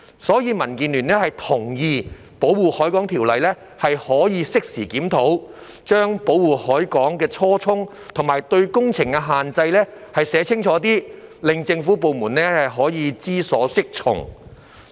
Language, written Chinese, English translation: Cantonese, 所以，民建聯同意《條例》可以適時檢討，將保護海港的初衷及對工程的限制寫得更清楚，令政府部門可以知所適從。, Therefore DAB agrees that the Ordinance can be reviewed in due course to write down more clearly the original intent of protecting the harbour and the restrictions on the works so that government departments will know what course to take